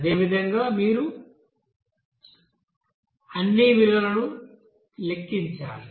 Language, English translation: Telugu, So in the same way you have to calculate all the values